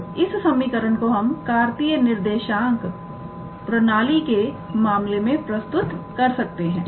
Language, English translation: Hindi, Now, we can also express this equation in terms of a Cartesian coordinate system